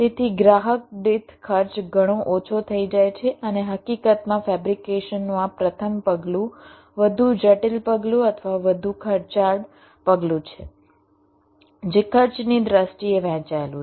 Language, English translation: Gujarati, ok, so the per customers cost become much less and in fact this first step of fabrication is the more complex step or the more expensive step which is shared in terms of cost